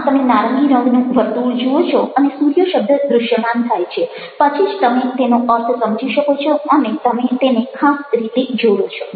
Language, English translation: Gujarati, so you see an orange circle and only after the word sun appears there you make sense of it and you relate it in a particular way